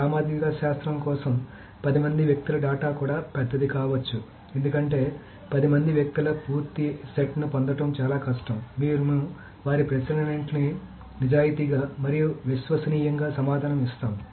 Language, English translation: Telugu, For sociologists, maybe even 10% data is big because it's very hard to get a complete set of 10 persons who will answer all their questions honestly and reliably and so on and so forth